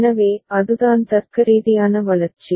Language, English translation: Tamil, So, that is the logical development